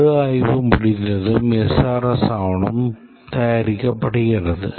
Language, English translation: Tamil, And once the review is done, the SRS document is produced